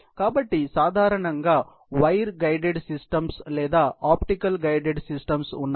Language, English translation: Telugu, So, typically there are either, wire guided systems or there are optical guided systems